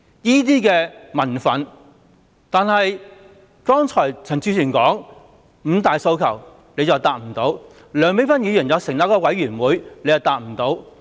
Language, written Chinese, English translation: Cantonese, 但是，他沒有回答剛才陳志全議員所說的五大訴求，而梁美芬議員建議成立一個委員會，他亦沒有回答。, But the Secretary did not respond to the five demands Mr CHAN Chi - chuen mentioned just now neither did he respond to the proposal of establishing a panel that Dr Priscilla LEUNG put forth